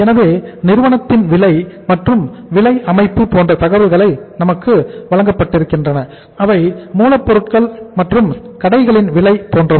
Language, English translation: Tamil, So we are given the information like the cost and the price structure of the company are cost of raw materials and stores etc